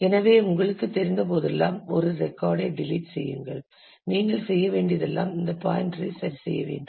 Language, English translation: Tamil, So, whenever you have to you know delete a record all that you need to do is adjust this pointer